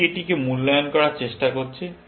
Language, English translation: Bengali, This one is trying to evaluate this